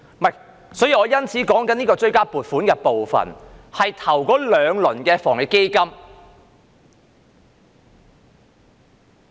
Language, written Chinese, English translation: Cantonese, 不是的，我說的追加撥款是關於首輪防疫抗疫基金。, No the supplementary appropriation I am referring to is about the first round of the Anti - epidemic Fund